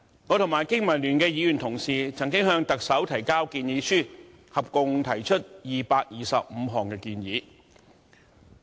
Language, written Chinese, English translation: Cantonese, 我和香港經濟民生聯盟議員同事曾經向特首提交建議書，合共提出225項建議。, Honourable colleagues from the Business and Professionals Alliance for Hong Kong BPA and I have submitted a total of 225 proposals to the Chief Executive